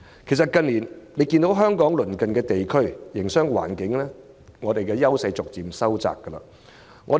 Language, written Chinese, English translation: Cantonese, 其實大家也看到，相比鄰近地區，香港近年在營商環境上的優勢逐漸收窄。, It is indeed obvious to all that in terms of business environment Hong Kongs advantage over its neighbours has been gradually narrowing in recent years